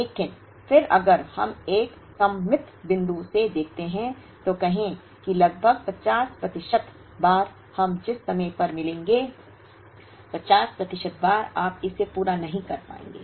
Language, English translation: Hindi, But, then if we look at from a symmetric point of view, say roughly 50 percent of the times we will be able to meet at, 50 percent of the times you will not be able to meet it